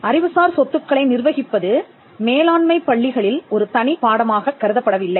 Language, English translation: Tamil, Managing intellectual property though it is not thought as a separate subject in management schools